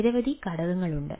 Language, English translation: Malayalam, there are several challenges